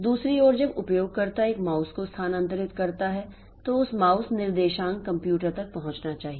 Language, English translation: Hindi, On the other hand, when the user moves a mouse, the mouse coordinate should reach the computer